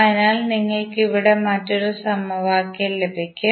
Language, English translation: Malayalam, So, how we will get the second equation